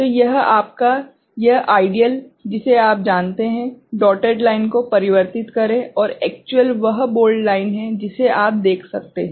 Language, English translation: Hindi, So, this is the your, this ideal you know, transition the dotted line, and actual is the bold line that is what you can see right